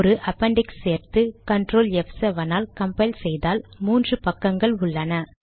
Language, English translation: Tamil, Add an appendix, compile it using ctrl f7, has three pages